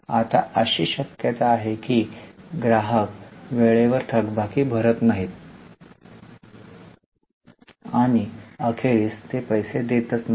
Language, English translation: Marathi, Now, there is a likelihood that few of our customers don't pay their dues on time and eventually they don't pay at all